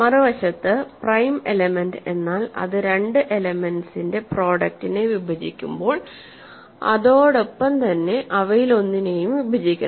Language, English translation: Malayalam, On the other hand, a prime element is an element which when it divides a product of two elements, it must divide one of them